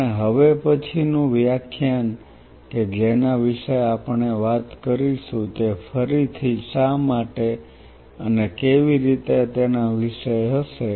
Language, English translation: Gujarati, Our next lecture what we will be talking about is again the same why and how